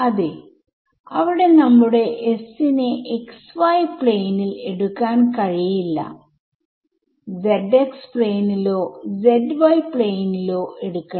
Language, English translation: Malayalam, Right so, there we will have to take our s not in the xy plane, but will have to take it in let say the your zx plane or zy plane or something like that right